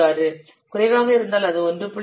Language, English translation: Tamil, 46 and low is 1